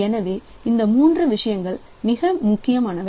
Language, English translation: Tamil, So, these are the three things that are very important